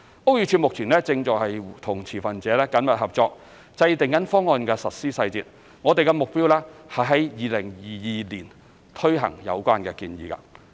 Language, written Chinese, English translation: Cantonese, 屋宇署目前正與持份者緊密合作，制訂方案實施細節，我們的目標是在2022年推行有關的建議。, BD is working closely with the stakeholders to formulate the implementation details of the proposal with an aim to launch it in 2022